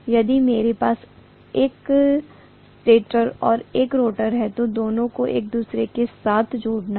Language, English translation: Hindi, If I have a stator and if I have a rotor, both of them have to be linked with each other